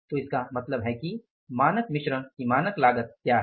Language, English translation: Hindi, And now what is the standard cost of standard mix